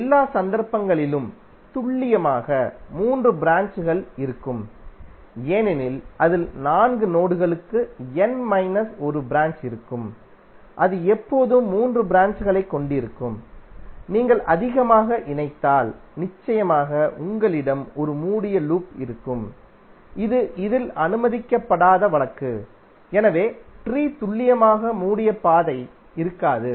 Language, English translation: Tamil, In all the cases if you see there would be precisely three branches because it will contain n minus one branch for four nodes it will always have three branches, if you connect more, then definitely you will have one closed loop which is not allowed in this case so tree will have precisely no closed path